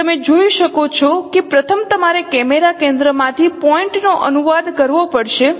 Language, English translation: Gujarati, So you can see that the first you have to translate the point by it's the translate the point from the camera center